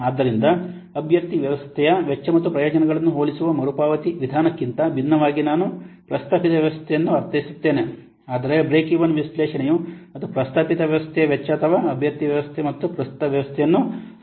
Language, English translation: Kannada, So, unlike the payback method which compares the cost and benefits of the candidate system, even the proposed system, but Breckyvin analysis, it compares what the cost of the proposed system or the candidate system and the current system